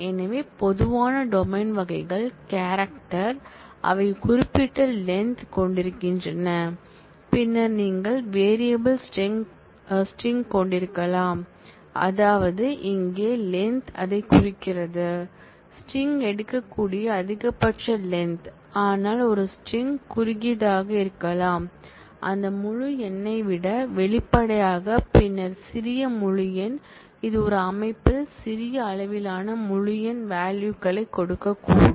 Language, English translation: Tamil, So, the common domain types are character which are basically strings of character, having a certain length then you can have variable character string which means that the length here specifies that, the maximum length that the string can take, but a string could be shorter than that integer; obviously, then small integer, which in a system may give a smaller range of integer values